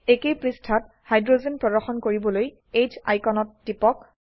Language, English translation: Assamese, On the same page, click on H icon to show hydrogens